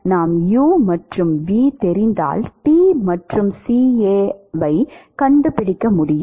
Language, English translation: Tamil, If we know u and v then we should be able to find T and CA, in principle, it is not linear